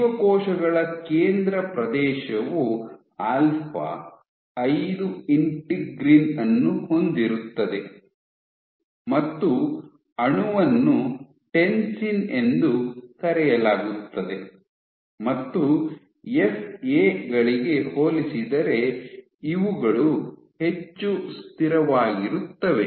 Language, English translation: Kannada, So, central region of cells and they have alpha 5 integrin and the molecule called tensin in and these are also more stable compared to FAs